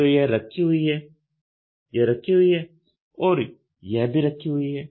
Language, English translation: Hindi, So, this is placed this is placed, this is placed